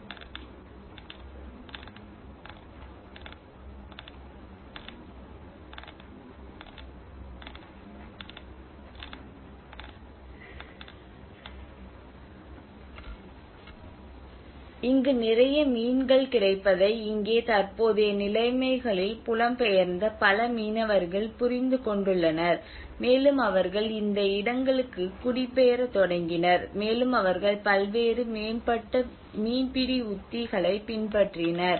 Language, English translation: Tamil, (Video Start Time: 21:54) (Video End Time: 31:51) But here in the present conditions one has to understand that many migrated fishermen have understood that a lot of fish available here and they started migrating to these places and they had adopted different various advanced fishing techniques